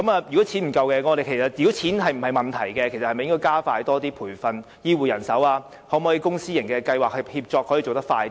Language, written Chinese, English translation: Cantonese, 如果錢不是問題，我們應否加快培訓醫護人手，或由公私營計劃協作，從而把工作做得更快呢？, If money is not a problem should we speed up health care manpower training or implement public - private partnership so as to quicken the delivery of services?